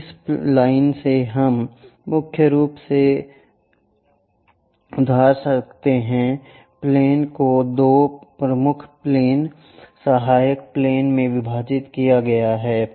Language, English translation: Hindi, So, from this line we can lend mainly the planes are divided into two, principal planes, auxiliary planes